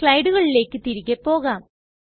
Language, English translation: Malayalam, Now we go back to the slides